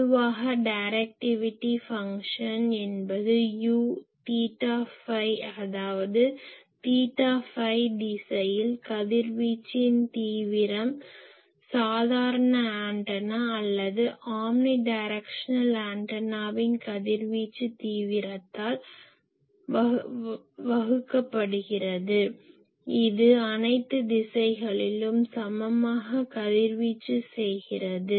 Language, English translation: Tamil, Directivity function is basically , this U theta phi ; that means, radiation intensity in theta phi direction divided by radiation intensity of an average antenna or omni omni directional antenna which radiates equally in all direction